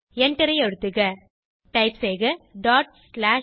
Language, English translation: Tamil, Press Enter Type ./stat